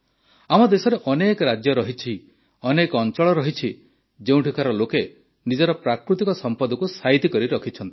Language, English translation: Odia, There are many states in our country ; there are many areas where people have preserved the colors of their natural heritage